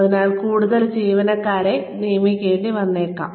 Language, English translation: Malayalam, , we might need to hire more employees